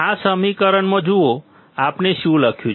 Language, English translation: Gujarati, See in this equation; what we have written